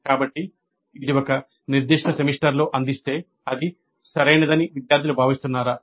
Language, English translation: Telugu, So if it is offered in a particular semester do the students feel that that is an appropriate one